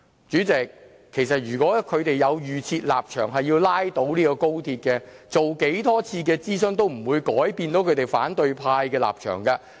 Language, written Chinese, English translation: Cantonese, 主席，如果他們有預設立場，要拉倒高鐵，無論進行多少次諮詢都不會改變反對派的立場。, President if the opposition Members already have a predetermined stance and wish to put an end to the XRL project no matter how many consultations are to carry out they will just never change their minds